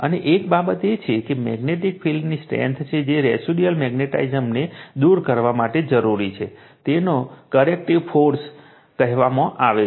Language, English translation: Gujarati, And one thing is there magnetic field strength that is o d required to remove the residual magnetism is called coercive force right